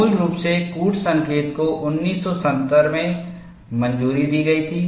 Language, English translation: Hindi, Originally the code was approved in 1970